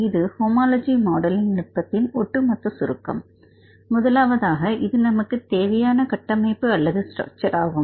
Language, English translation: Tamil, Here this is the overall summary of the homology modelling technique; first one, if we see here this is the structure we need